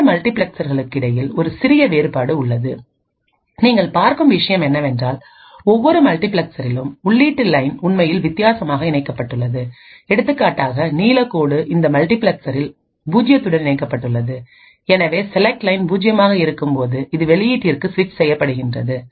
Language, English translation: Tamil, There is a minor difference between the 2 multiplexers and what you see is that the input line is actually connected differently in each multiplexer for example over here, the blue line is connected to 0 in this multiplexer and therefore will be switched to the output when the select line is 0, while in this case the blue line is connected to 1